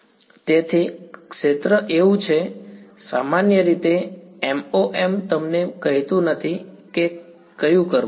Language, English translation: Gujarati, So, the field is so, MoM in general does not tell you which one to do